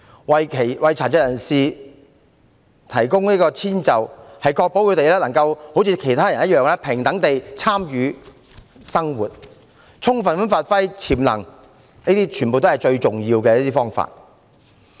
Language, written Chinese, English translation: Cantonese, 為殘疾人士提供遷就可確保他們能夠跟其他人一樣平等地參與生活，充分發揮潛能，是最重要的方法。, Providing accommodation to persons with disabilities is a vital means to ensure that they can fully participate in life on equal terms with others and maximize their potential